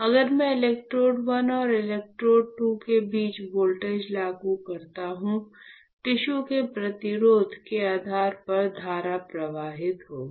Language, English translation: Hindi, So, if I apply a voltage between electrode 1 and electrode 2; the current will flow depending on the resistance of the tissue